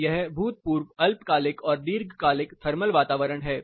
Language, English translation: Hindi, So, this is the short and long term past thermal environment